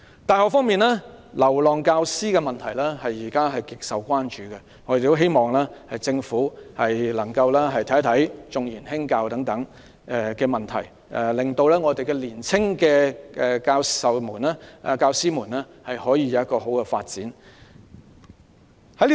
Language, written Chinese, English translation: Cantonese, 大學方面，"流浪教師"的問題現時極受關注，我們希望政府能夠審視"重研輕教"等問題，令年青教師有良好的發展。, Regarding universities the problem of wandering teachers has been a matter of great concern . We hope that the Government can review the preference for research over teaching so that young teachers can have good development